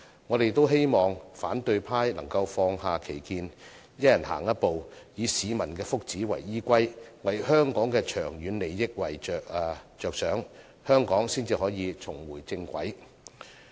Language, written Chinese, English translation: Cantonese, 我們希望反對派能放下歧見，一人踏出一步，以市民的福祉為依歸，為香港的長遠利益着想，香港才可以重回正軌。, We hope the opposition camp can put aside its prejudice and take a step forward on the basis of peoples well - being and also for the sake of Hong Kongs long - term interests . That way Hong Kong can return to the normal track